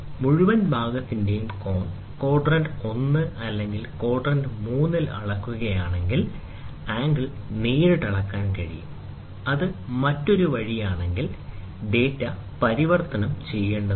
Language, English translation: Malayalam, If the angle of the whole part are being measured in quadrant 1 or quadrant 3, the angle can be read directly; if it is the other way, data has to be converted